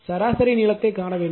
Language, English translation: Tamil, And how to take the mean length how to take